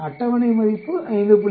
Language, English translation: Tamil, The table value is 5